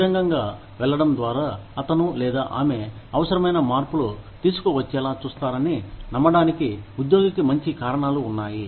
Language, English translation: Telugu, The employee has good reasons, to believe that, by going public, he or she will ensure that, the necessary changes will be brought about